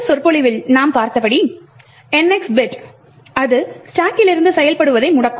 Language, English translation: Tamil, As we have seen in the previous lecture the NX bit would disable executing from that stack